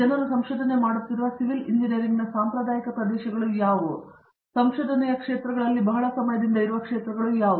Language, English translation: Kannada, So what are traditional areas of civil engineering that people do research on, but have been around for a very long time as areas of research